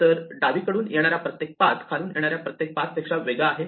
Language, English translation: Marathi, So, every path that comes from the left is different from every path that comes from below